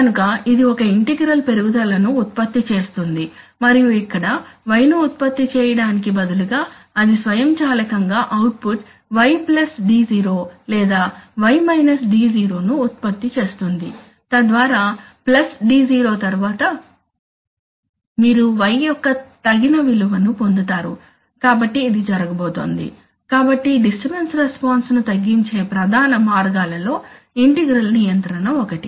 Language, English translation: Telugu, So it will produce an integral will rise and it will, here, it will, instead of producing y it will automatically produce an output y plus d0 or rather y minus d0, so that after plus d0 you will get the desired value of y, so this is going to happen, so integral control is one of the major ways of reducing disturbance response